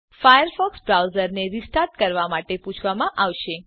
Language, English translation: Gujarati, You will be prompted to restart the Firefox browser